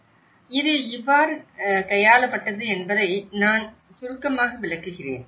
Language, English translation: Tamil, So, I will briefly explain, how this has been tackled